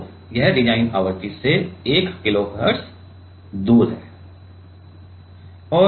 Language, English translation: Hindi, So, 1 Kilohertz it is off from it is design frequency